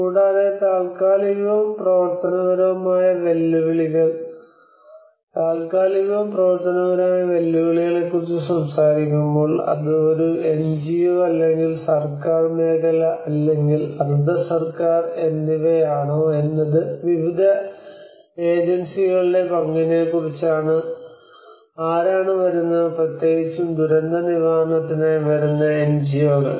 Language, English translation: Malayalam, Also, the temporal and functional challenges; when we talk about the temporal and functional challenges, it is also about the role of different agencies whether it is an NGO or a government sector or quasi government which whoever are coming so especially the NGOs who are coming the agencies to do the disaster recovery projects